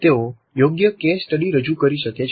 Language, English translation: Gujarati, They can present suitable case studies